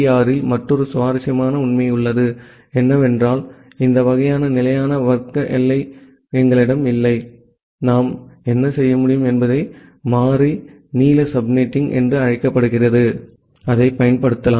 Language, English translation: Tamil, There is another interesting fact in CIDR, because we do not have this kind of fixed class boundary, what we can do that we can use what we say as the variable length subnetting